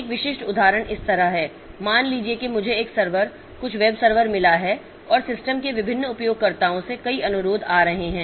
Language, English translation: Hindi, Suppose I have got a server, some web server and there are a number of requests coming from different users of the system